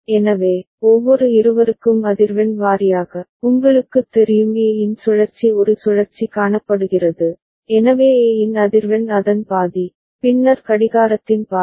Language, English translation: Tamil, So, frequency wise for every two, you know cycle one cycle of A is seen, so the frequency of A is half of it, then half of the clock